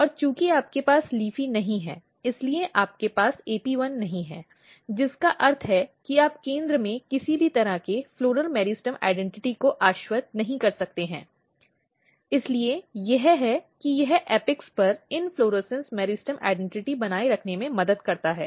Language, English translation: Hindi, And since you do not have LEAFY you do not have AP1 which means that you cannot assure any floral meristem identity in the center so that is it this helps in maintaining inflorescence meristem identity at the apex